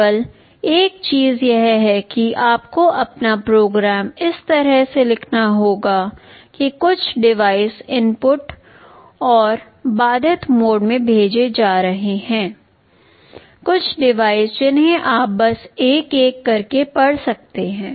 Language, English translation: Hindi, The only thing is that you have to write your program in such a way some of the devices will be sending the inputs and interrupt driven mode some of the devices you can just read them one by one